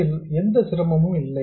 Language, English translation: Tamil, There is no difficulty here